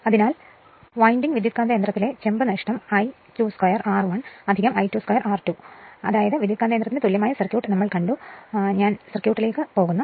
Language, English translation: Malayalam, So, copper loss in the 2 winding transformer are I 2 square R 1 plus I 2 square R 2, I mean we have seen the equivalent circuit of the transformer and I am going back to 1 circuit right